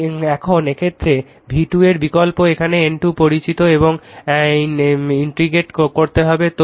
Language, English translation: Bengali, So now, in this case v 2 you substitute here N 2 is known and you have to integrate